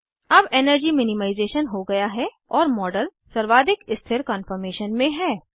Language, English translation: Hindi, Energy minimization is now done and the model is in the most stable conformation